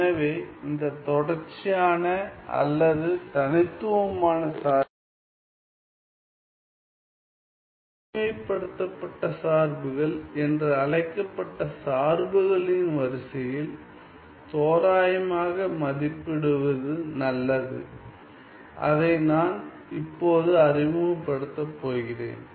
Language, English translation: Tamil, So, it is better to approximate these continuous or discrete functions into the sequence of the so called generalized functions that I am going to introduce now